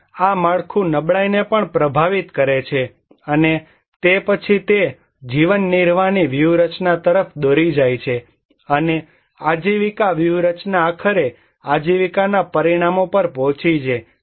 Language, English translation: Gujarati, And this framework also influencing the vulnerability and also then it leads to the livelihood strategy people take, and this livelihood strategy ultimately went to livelihood outcomes